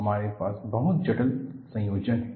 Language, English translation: Hindi, We have a very complicated combination here